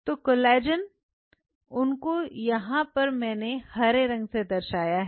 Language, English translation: Hindi, So, the collagen itself is a so, the green one is showing the collagen